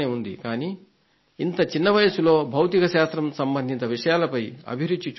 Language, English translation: Telugu, At such a young age I saw that he was interested in research in the field of Physics